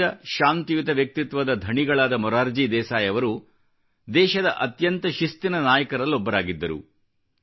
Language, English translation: Kannada, A simple, peace loving personality, Morarjibhai was one of the most disciplined leaders